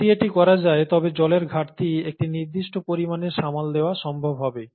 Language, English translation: Bengali, So, if that can be done probably the water shortage can be handled to a certain extent